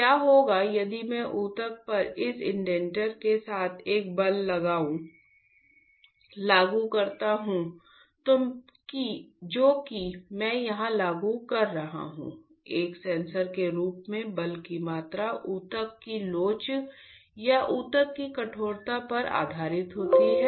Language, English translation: Hindi, What will happen if I apply a force with this indenter onto the tissue the tissue that amount of force that I am applying here , the amount of force as a sensor will experience is based on the elasticity of the tissue or stiffness of the tissue